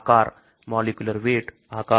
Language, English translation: Hindi, Size, molecular weight, shape